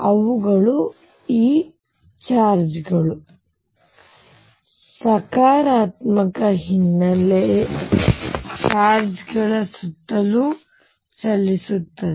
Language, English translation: Kannada, The kind of move around these charges the positive background charges